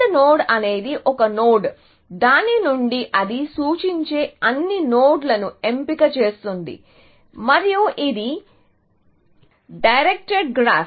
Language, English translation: Telugu, So, an AND node is a node from which, the choices, all the nodes that it points to; it is a directive graph